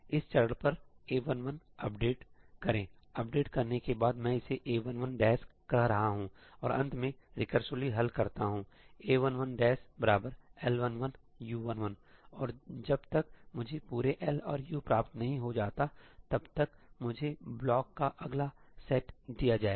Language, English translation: Hindi, At this step, update A 1 1; after updating I am calling it A 1 1 prime and finally, recursively solve A 1 1 prime equal to L 1 1 U 1 1 and that is going to give me the next set of blocks and so on until I get the entire L and U